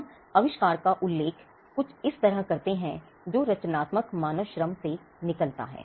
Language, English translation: Hindi, We refer to the invention as something that comes out of creative human labour